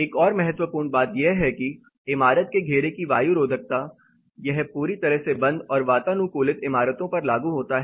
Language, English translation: Hindi, Another important thing is air tightness of building enclosure this applies to a tightly sealed and condition buildings